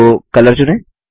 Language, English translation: Hindi, So lets select Color